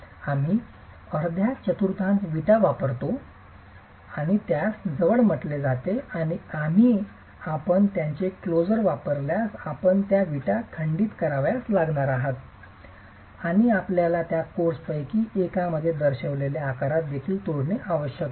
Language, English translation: Marathi, We use half quarter bricks and that's called a closer and here if you use these closers, you're actually going to have to break these bricks and you also have to break them in the shape that is shown in one of the courses and the alternate course here